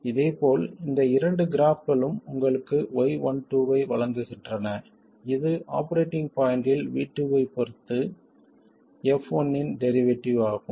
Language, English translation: Tamil, Similarly, these two graphs give you Y12 which is the derivative of F1 with respect to V2 at the operating point